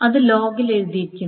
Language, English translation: Malayalam, So that is being written in the log